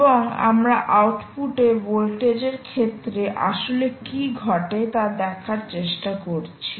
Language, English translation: Bengali, ok, and we are trying to see what actually happens in terms of the output voltage